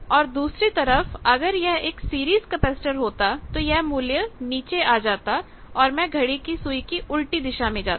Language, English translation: Hindi, On the other hand, if the series arm is a capacitor then I will come down that means, I will move in the anti clockwise direction